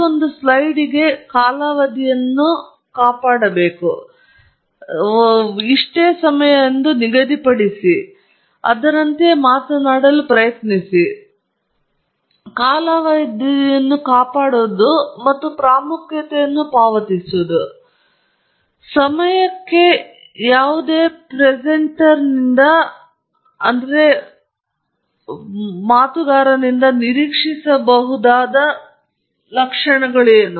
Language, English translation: Kannada, So, keeping track of duration and paying importance, showing importance, to time is a very valuable characteristic that is expected of any presenter okay